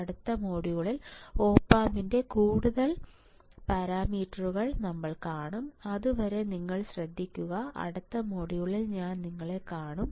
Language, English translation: Malayalam, So, we will see in the next module, the further parameters of the op amp, till then, you take care, I will see you in the next module, bye